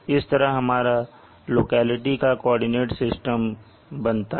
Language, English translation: Hindi, So this forms the coordinate system of the locality